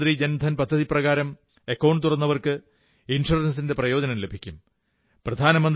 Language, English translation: Malayalam, And those who opened their accounts under the Pradhan Mantri Jan DhanYojna, have received the benefit of insurance as well